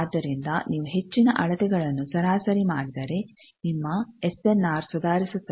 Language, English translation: Kannada, So, more number of measurements you average your SNR will improve